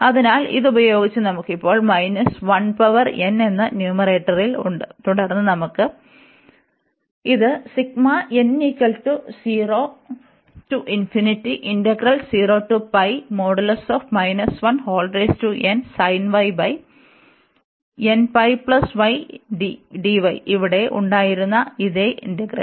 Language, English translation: Malayalam, So, y using this we have now in the numerator minus 1 power n, and then we have this sin y over n pi y dy the same integral, which was here